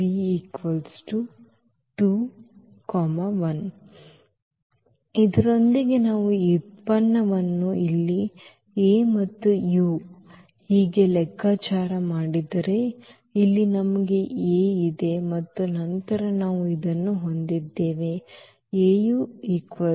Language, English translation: Kannada, And, with this if we compute this product here A and u so, here we have this A and then we have this u